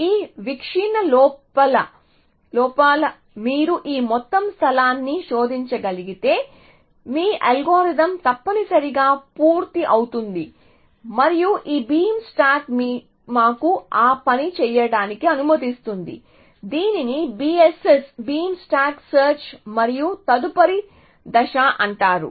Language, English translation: Telugu, If you can search this entire space inside this view, your algorithm is going to be complete essentially and this beam stack allows us to do that essentially, so this is called BSS beam stack search and the next step